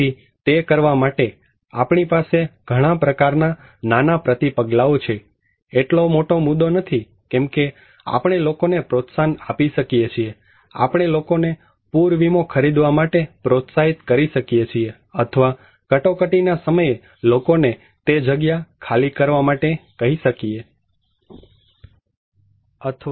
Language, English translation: Gujarati, So, in order to do that, we have many kind of small countermeasures, not a very big issue like we can promote, we can motivate people to buy flood insurance or we can ask people to evacuate during emergency